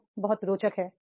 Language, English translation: Hindi, It is very interesting